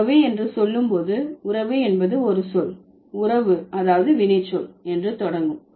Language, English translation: Tamil, So, when you say relation, so relation begins from a word relate, which is a verb to begin with